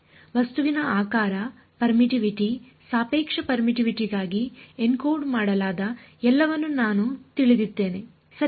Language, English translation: Kannada, Object shape, permittivity; I know which is all encoded into the relative permittivity right